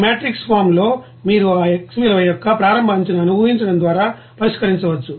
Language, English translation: Telugu, So here, so in this form of matrix you can you know solve just by you know assuming that initial guess of that X value